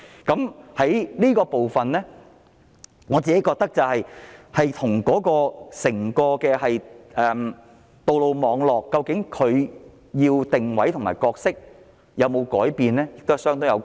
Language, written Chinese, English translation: Cantonese, 就着這個部分，我覺得與整個道路網絡的定位和角色有否改變相當有關係。, In this connection I hold that a related discussion is whether the position and role of the entire road network has changed